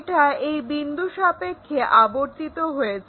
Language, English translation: Bengali, It is rotated about this point